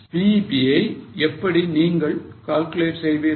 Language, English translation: Tamil, So, how will you calculate BEP